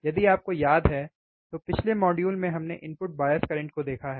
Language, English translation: Hindi, iIf you remember, we have in the last module we have seen input bias current